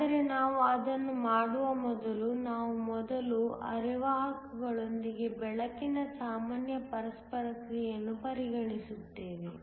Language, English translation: Kannada, But before we do that, we will first treat the general interaction of light with semiconductors